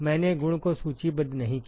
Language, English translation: Hindi, I did not list the property